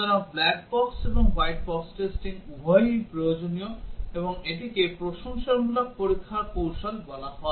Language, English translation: Bengali, So both black box and white box testing are necessary, and this are called as complimentary testing strategies